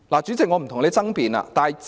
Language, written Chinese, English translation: Cantonese, 主席，我不跟你爭辯。, President I do not want to argue with you